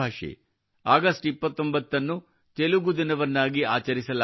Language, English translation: Kannada, 29 August will be celebrated as Telugu Day